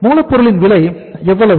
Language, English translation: Tamil, The cost of raw material is how much